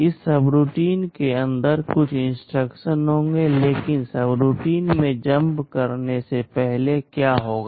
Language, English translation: Hindi, Inside this subroutine there will be some instructions, but before jump into the subroutine what will happen